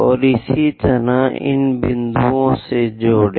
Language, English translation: Hindi, And similarly, join these points